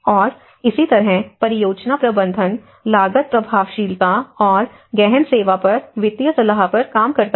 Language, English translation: Hindi, And similarly the project management works at cost effectiveness and financial advice on depth servicing